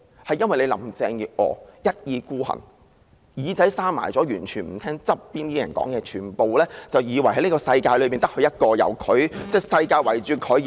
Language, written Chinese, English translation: Cantonese, 就是由於林鄭月娥一意孤行，把耳朵緊閉起來，完全不聽旁邊的人勸諭，以為這個世界只有她一人，整個世界便是圍繞着她而轉。, Because Carrie LAM was hell bent on her own way and shut her ears completely disregarding the advice of people around her . She thought she is the only person in this world and the entire world revolves around her